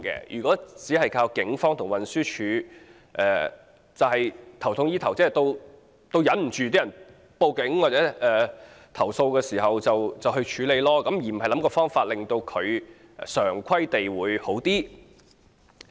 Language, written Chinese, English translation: Cantonese, 如果只靠警方和運輸署，是"頭痛醫腳"，接獲市民報警或投訴才處理，而非對症下藥，根治問題。, If we merely count on the Police and the Transport Department to deal with the problems upon receiving reports or complaints from members of the public the measures are irrelevant failing to suit the remedy to the case and solve the problems at their roots